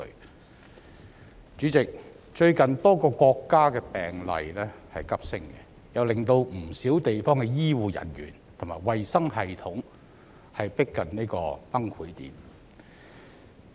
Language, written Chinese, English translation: Cantonese, 代理主席，最近多個國家的新冠肺炎病例急升，令不少地方的醫護人員和衞生系統逼近崩潰點。, Deputy President the recent surge of Coronavirus Disease 2019 cases in various countries has driven their healthcare workers and healthcare systems to the verge of collapse